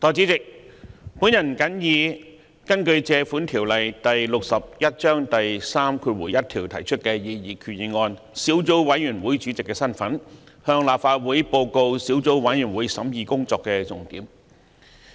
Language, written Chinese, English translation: Cantonese, 代理主席，我謹以根據《借款條例》第61章第31條提出的擬議決議案小組委員會主席的身份，向立法會報告小組委員會審議工作的重點。, Deputy President in my capacity as Chairman of the Subcommittee on Proposed Resolution under Section 31 of the Loans Ordinance Cap . 61 I now report the salient points of the deliberations of the Subcommittee to this Council